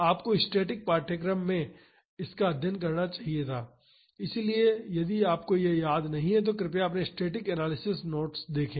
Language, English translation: Hindi, This we you should have studied this in the static course; so, if you do not remember this please refer your static analysis notes